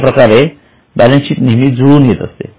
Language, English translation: Marathi, That is why the balance sheet always balances or matches